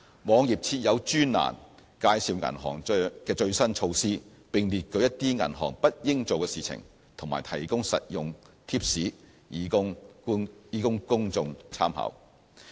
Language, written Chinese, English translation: Cantonese, 網頁設有專欄介紹銀行的最新措施，並列舉一些銀行不應做的事情，和提供實用貼士供公眾參考。, It also covers latest measures adopted by banks information on what banks should not do and useful tips for reference of the public